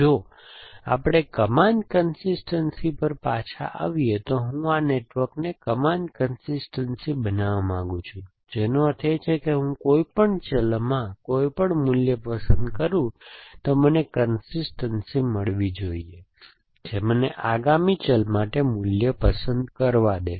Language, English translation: Gujarati, So, coming back to arch consistency, I want to make this network arch consistence, which means if I choose any value in any variable, I should get the allowed to by the consistency, given to me choose value for the next variable